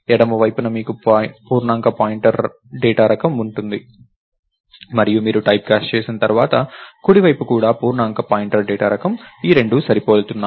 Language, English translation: Telugu, On the left side, you have an integer pointer data type and once you typecast, the right side is also an integer pointer data type, these two are matching